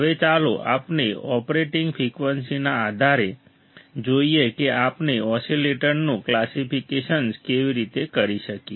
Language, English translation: Gujarati, Now, let us see based on operating frequency how we can classify the oscillators